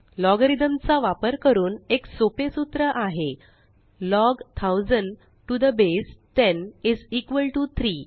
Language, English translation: Marathi, A simple formula using logarithm is Log 1000 to the base 10 is equal to 3